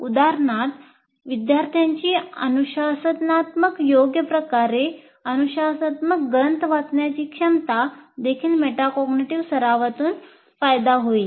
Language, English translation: Marathi, For instance, students' ability to read disciplinary texts in discipline appropriate ways would also benefit from metacognitive practice